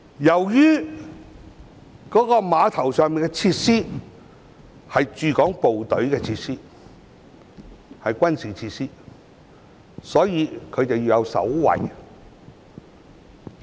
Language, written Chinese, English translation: Cantonese, 由於碼頭上的設施是駐港部隊所有，屬軍事設施，所以要有守衞。, The facilities at the dock must be guarded as they are owned by the Hong Kong Garrison and classified as military facilities